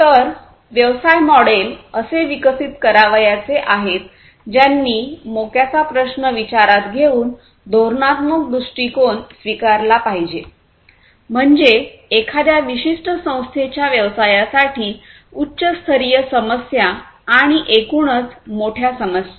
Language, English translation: Marathi, So, business models are have to be developed which should take the strategic approach by considering the bigger issues the strategic issues; that means, high level issues for a particular organization business and the greater issues overall